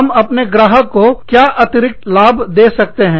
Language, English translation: Hindi, What additional benefit, can i offer to my clients